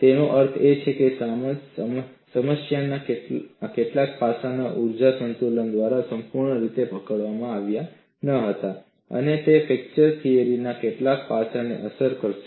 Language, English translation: Gujarati, That means some aspect of the problem was not fully captured by the energy balance, and it will hit some aspect of the fracture theory